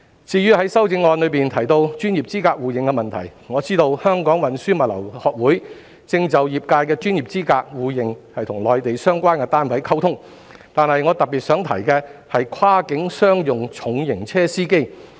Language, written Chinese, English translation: Cantonese, 至於在修正案中提到專業資格互認的問題，我知道香港運輸物流學會正就業界的專業資格互認與內地相關單位溝通，但我特別想提的是跨境商用重型車司機。, As regards the issue of mutual recognition of professional qualifications I know that the Chartered Institute of Logistics and Transport in Hong Kong is communicating with the relevant Mainland departments about this issue in respect of their industry . Despite so I still wish to talk about drivers of cross - boundary heavy commercial vehicles in particular